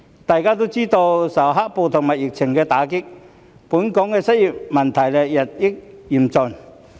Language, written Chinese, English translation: Cantonese, 大家也知道，受"黑暴"和疫情打擊，本港的失業問題日益嚴峻。, As we all know under the impact of black - clad riots and the epidemic the unemployment problem in Hong Kong has become increasingly serious